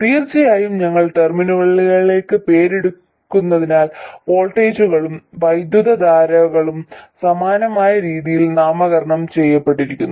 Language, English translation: Malayalam, And of course because we have named the terminals, the voltages and currents are also named in a similar way